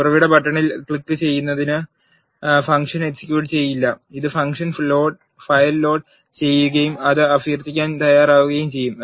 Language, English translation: Malayalam, Clicking the source button will not execute the function; it will only load the function file and make it ready for invoking